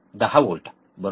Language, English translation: Marathi, 10 volts, right